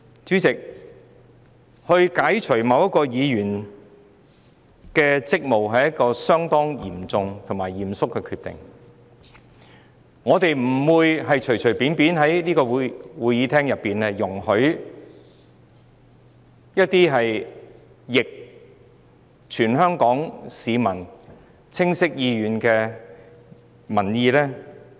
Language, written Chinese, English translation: Cantonese, 主席，要解除某一議員的職務，是一項相當嚴重和嚴肅的決定，我們不能隨便在這議事廳通過一些有違全港市民清晰意願的建議。, President any decision to relieve a Member of hisher duties should be a very serious and solemn one and we should not have any proposals passed lightly in this Chamber to act against the clear will of the people